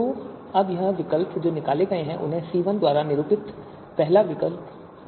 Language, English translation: Hindi, So now these alternatives which have been extracted, they are referred to as first group denoted by C1